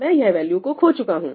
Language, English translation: Hindi, So, I have lost that value